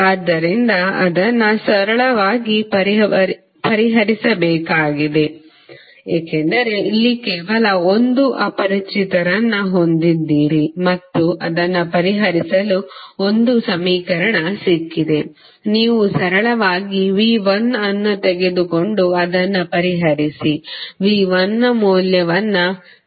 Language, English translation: Kannada, You have to just simply solve it because here you have only 1 unknown and you have got one equation to solve it, you simply take V 1 out and solve it you will get the value of V 1 as 79